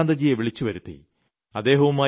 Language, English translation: Malayalam, I called Chandrakantji face to face